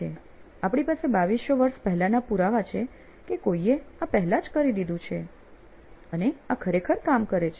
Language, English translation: Gujarati, We have 2200 years ago evidence that somebody else had already come up with and this actually works